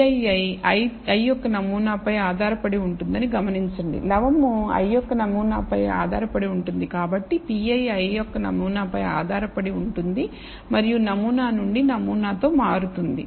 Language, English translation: Telugu, Notice that p ii depends on the i th sample, numerator depends on the i th sample, therefore p ii depends on the i th sample and varies with sample to sample